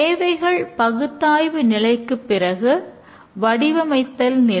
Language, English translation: Tamil, And after the requirements analysis phase is the design phase